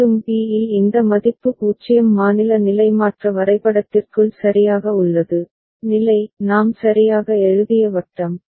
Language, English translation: Tamil, And at b these value has 0 right inside the state transition diagram, state that circle that we had written right